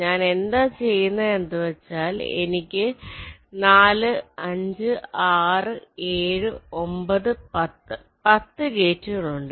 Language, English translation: Malayalam, you see, i have a four, five, six, seven, nine, ten, ten gates